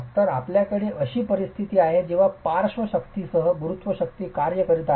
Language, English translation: Marathi, So, you have a situation where gravity forces are acting along with lateral forces